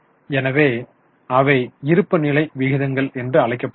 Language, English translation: Tamil, So they are also known as balance sheet ratios